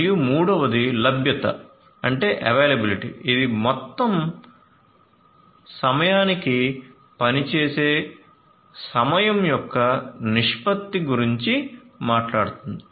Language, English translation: Telugu, And the third one is availability, which talks about the ratio of the time of functioning to the total time